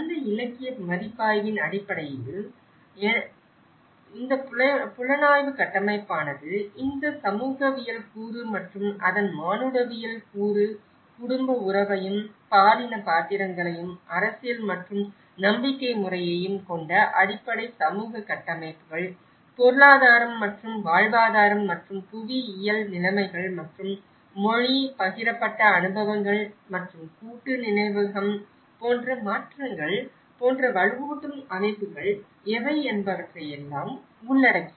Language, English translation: Tamil, And based on that literature review, so this investigative framework looks at this the sociological component and the anthropological component of it, the fundamental social structures which have again the family kinship and the gender roles and politics and belief system whereas, the economics and livelihood and geographical conditions and what are the reinforcing structures which like language, shared experiences and the collective memory how it gets transformed